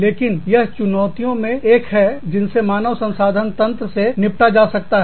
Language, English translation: Hindi, But, this is one of the challenges, that is dealt with by the, HR information systems